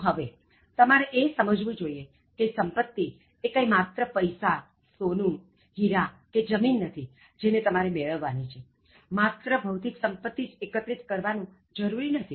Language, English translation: Gujarati, Now, you should also understand wealth is not just money or gold or diamonds and the land that accumulate, so it is not just the material wealth that you need to collect